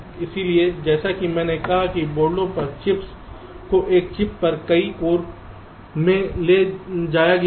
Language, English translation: Hindi, so here, as i said, that chips on boards have been moved to multiple course on a chip and we use very similar concepts